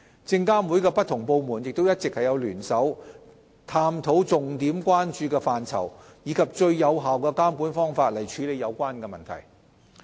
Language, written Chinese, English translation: Cantonese, 證監會的不同部門亦一直聯手探討重點關注範疇，並以最有效的監管方法處理有關問題。, Different divisions of SFC have been working together to identify key areas of concern and the optimal regulatory approach